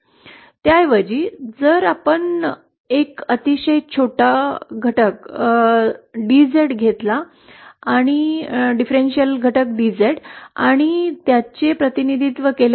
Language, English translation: Marathi, Instead, if we just take a very small, a differential element DZ and represent it like this